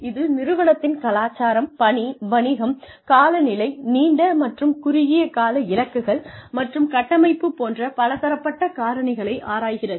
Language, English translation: Tamil, Which examines, broad factors such as the organization's culture, mission, business, climate, long and short term goals and structure